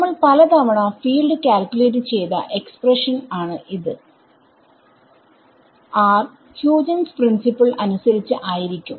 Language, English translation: Malayalam, So, for example, we already this is an expression which is we have calculated several times the field that any r as per Huygens principle